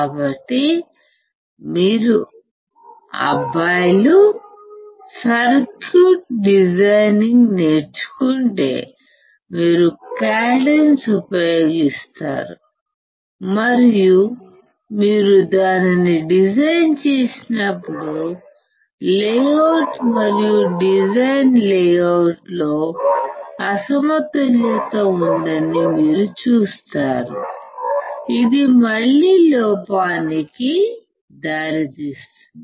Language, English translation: Telugu, So, if you guys have learnt circuit designing, you will use cadence , and then you when you design it you will see the there is a mismatch in the layout and design layout, which will again lead to an error